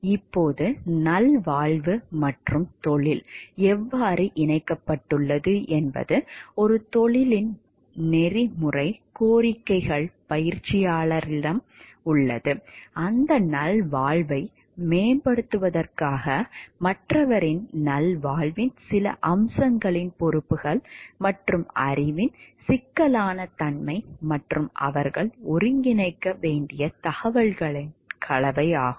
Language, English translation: Tamil, Now, how well being and profession is linked is the ethical demands of a profession make on the practitioners, is the combination of the responsibilities of the for a some aspects of others well being and the complexity of the knowledge and, information that they must integrate in order to promote that well being